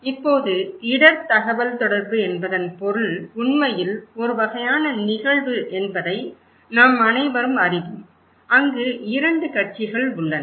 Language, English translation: Tamil, Now, we all know that the meaning of risk communication is actually a kind of event, where there are two parties